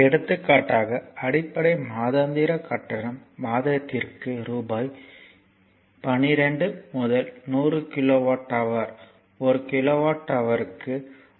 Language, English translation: Tamil, For example base monthly charge is rupees 12 first 100 kilowatt hour per month at rupees 1